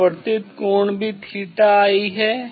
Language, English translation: Hindi, refracted angle also theta i